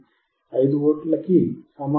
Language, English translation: Telugu, 16 which is not equal to 5 V